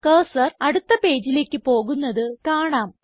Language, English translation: Malayalam, You see that the cursor comes on the next page